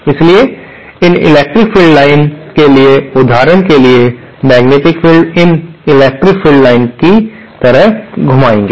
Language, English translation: Hindi, So, for example for these electric field lines, the magnetic fields will be rotating about these electric field lines